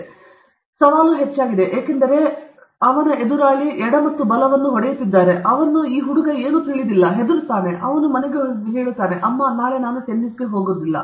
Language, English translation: Kannada, A three, the challenge is very high, because the other fellow is smashing left and right, he doesn’t even know, this fellow gets scared, he will tell – mummy, from tomorrow I am not going to tennis